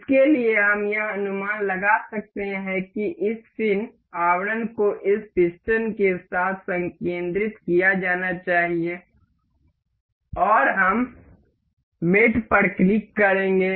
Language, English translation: Hindi, For this, we can as we can guess that this fin casing is supposed to be concentric with this piston, and we will we will click on the on mate